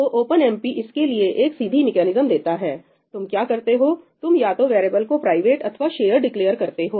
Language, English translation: Hindi, So there is a simple mechanism that OpenMP provides, what you do is you declare your variable to either be private or shared